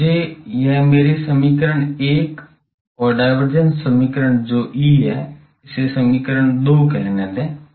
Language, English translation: Hindi, So, let me call this my equation 1 and the divergence equation that is E or it is called 2 later say